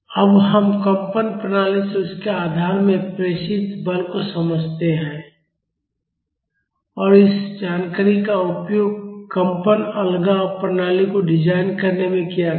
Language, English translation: Hindi, Now, let us understand the force transmitted from a vibrating system to its support and this information will be used in designing the vibration isolation systems